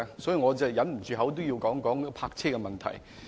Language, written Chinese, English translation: Cantonese, 所以，我忍不住要談談泊車問題。, I therefore cannot help but talk about the parking problem